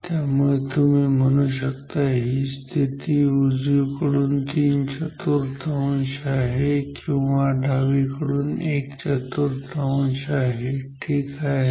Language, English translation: Marathi, So, this position is three fourth from the right or you can say one fourth one fourth from the left ok